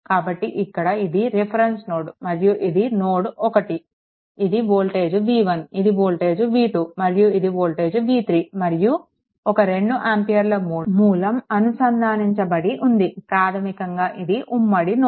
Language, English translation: Telugu, So, here this is your reference node and you have this is node 1, this is voltage v 1, this is voltage v 2 and this is voltage v 3 right and 1 2 ampere source is connected basically this this is a common node right